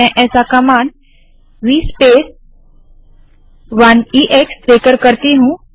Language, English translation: Hindi, Let me do that by giving through this v space command 1 ex